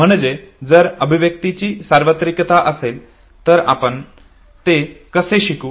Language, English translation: Marathi, So if there is universality of expression, how do we learn it okay